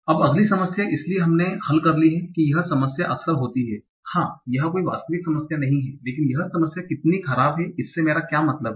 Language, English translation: Hindi, Now the next problem, so we saw that this problem is frequent, yes, this is not a rare problem, but how bad is this problem